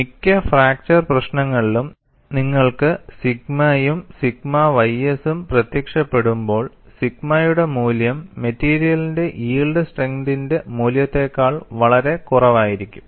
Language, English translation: Malayalam, When you have sigma and sigma ys appearing here in most of the fracture problems, the value of sigma will be far below the value of yield strength of the material